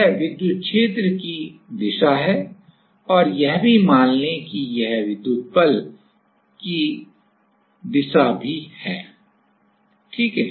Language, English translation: Hindi, This is the electric field direction and also this let us say this is the electric fold, electric force direction also ok